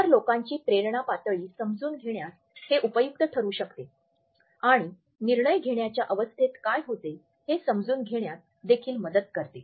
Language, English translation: Marathi, It can be helpful in learning the motivation level of other people and it can also help us to understand what is the stage of decision making